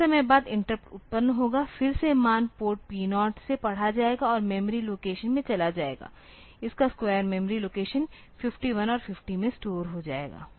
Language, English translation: Hindi, Again sometime later the interrupt will occur, again the value will be read from port P 0 and moved into the memory location, the square of it will be stored in memory location 51 and 50